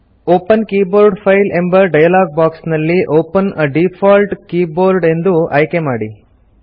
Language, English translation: Kannada, The Open Keyboard File dialogue box appears In the Open Keyboard File dialogue box, select Open a default keyboard